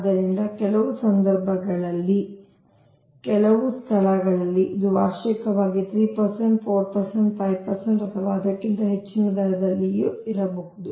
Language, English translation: Kannada, so some cases, some places maybe, it is at a rate of three percent, four percent, five percent annually or even more